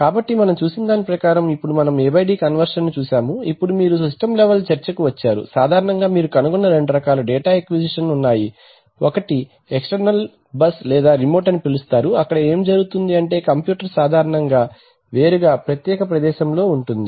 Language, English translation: Telugu, So having seen that, so now we have seen A/D conversion now we come to the system level discussion that typically there are two kinds of data acquisition system that you find, one are called external bus or remote, so there what happens is that the computer is in a separate place generally